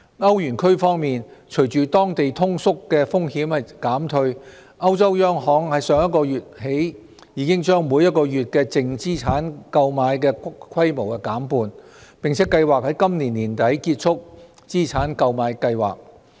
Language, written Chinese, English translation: Cantonese, 歐羅區方面，隨着當地通縮風險減退，歐洲央行自上月起已把每月淨資產購買規模減半，並計劃於今年年底結束資產購買計劃。, In the Euro area as the local deflation risk has reduced the European Central Bank cut the monthly net asset purchases by half last month and planned to end the Asset Purchase Programme at the end of this year